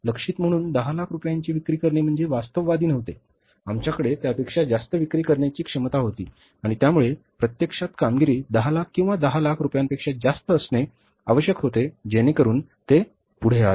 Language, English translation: Marathi, Selling worth rupees 1 million as targeted was not, means realistic, we had the capability to sell more than that So, actually the performance was ought to be more than 1 million or 10 lakh rupees so it has come up